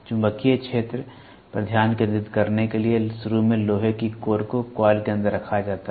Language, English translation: Hindi, To concentrate the magnetic field, initially the iron core is placed inside the coil